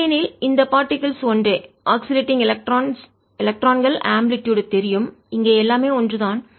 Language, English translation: Tamil, otherwise these particles are the same, the amplitude of, ah, you know, electrons oscillating, and everything is the same